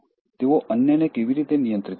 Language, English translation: Gujarati, How do they control others